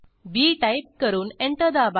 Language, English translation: Marathi, Type b and press Enter